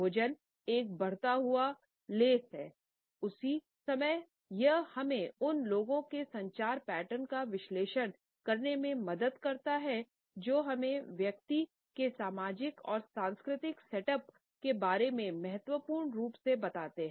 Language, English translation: Hindi, So, food is an increasing lens at the same time it helps us to analyse the communication patterns of the other people by telling us significantly about the social and cultural setups of the individual